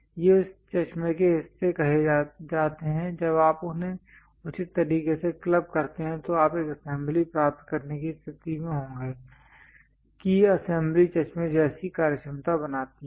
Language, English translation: Hindi, These are called parts parts of this spectacle, when you club them in a proper way you will be in a position to get an assembly that assembly makes the functionality like spectacles